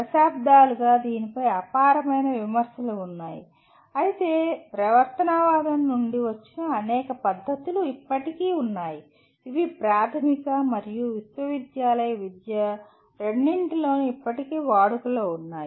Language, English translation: Telugu, There has been enormous amount of criticism of this over the decades but still there are many practices that have come from behaviorism which are still in use during both elementary to university type of education